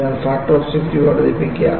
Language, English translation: Malayalam, So, increase the factor of safety